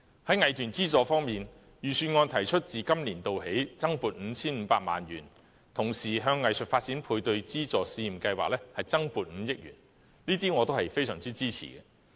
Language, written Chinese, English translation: Cantonese, 在藝團資助方面，預算案提出自今年度起增撥 5,500 萬元，同時向藝術發展配對資助試驗計劃增撥5億元，這些措施我都非常支持。, On financial support for arts groups the Budget proposed an additional recurrent provision of 55 million starting from this year . At the same time an additional 500 million will be injected into the Art Development Matching Grants Pilot Scheme . I greatly support these measures